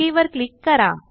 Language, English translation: Marathi, Let us click OK